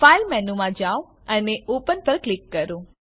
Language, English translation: Gujarati, Go to File menu and click on Open